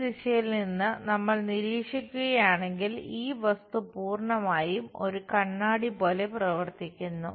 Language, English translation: Malayalam, If we are observing from this direction, this entire thing acts like mirror